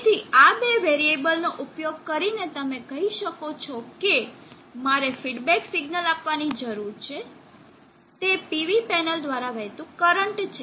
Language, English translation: Gujarati, So using these two variables you can say that what I need to give as feedback is the current flowing through the PV panel